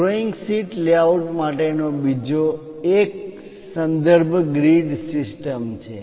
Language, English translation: Gujarati, The other one for a drawing sheet layout is called reference grid system